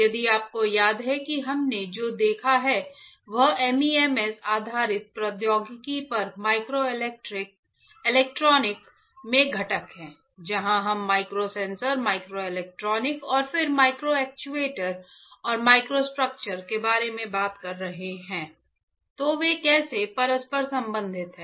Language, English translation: Hindi, If you remember what we have seen is components in microelectronics on MEMS based technology where we were talking about micro sensors microelectronics and then micro actuators and microstructures; so, how they are interrelated right